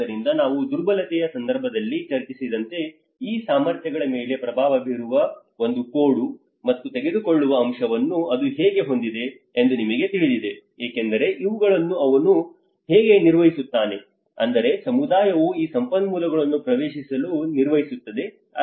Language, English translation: Kannada, So then as we discussed in the vulnerability context, how it also have a give and take aspect of this influencing these abilities you know because these are the how he manages, I mean the community manages to access these resources